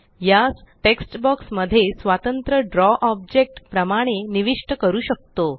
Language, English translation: Marathi, It can be inserted into a text box as an independent Draw object